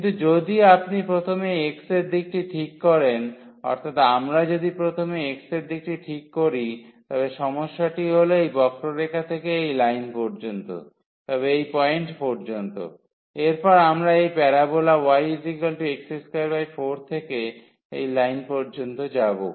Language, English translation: Bengali, But, if you first fix in the direction of x; so, if we first fix in the direction of x, then the problem will be that going from this curve to the line always, but up to this point; next to this we will be going from this parabola y is equal to x square by 4 to that line